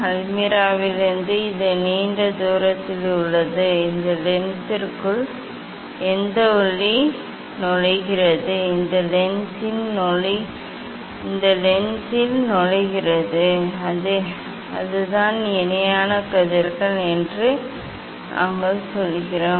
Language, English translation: Tamil, from almirah it is long distance here this whatever light entering into this lens, entering into this lens that is the, then we tell that is the parallel rays